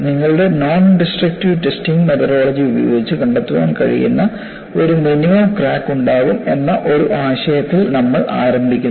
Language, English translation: Malayalam, And we start with a premise that, you will have a minimum crack that would be detectable by your nondestructive testing methodology